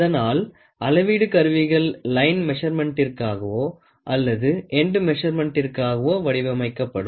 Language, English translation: Tamil, So, measuring instruments are designed either for line measurement or for end measurement